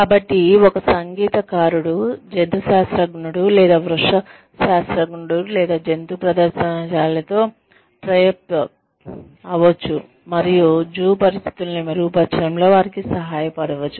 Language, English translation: Telugu, So, a musician could tie up, with a zoologist or a botanist, or with a zoo, and help them improve the zoo conditions